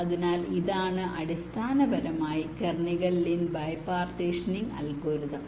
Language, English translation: Malayalam, so this is basically what is kernighan lin by partitioning algorithm